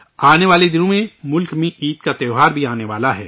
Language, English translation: Urdu, In the coming days, we will have the festival of Eid in the country